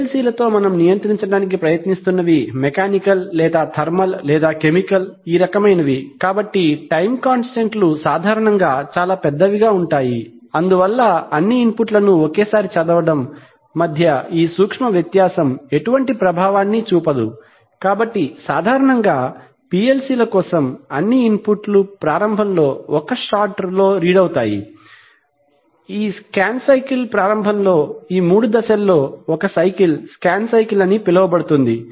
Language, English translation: Telugu, While, with PLCs the kind of things that we are trying to control are either mechanical or thermal or chemical, so the time constants are usually so large that this subtle difference between reading all the inputs at one time makes hardly any effect, so therefore typically for PLCs all inputs are read at one shot in the beginning, at the beginning of this scan cycle, one cycle of these three steps would be called a scan cycle, after all inputs are read the program logic gets executed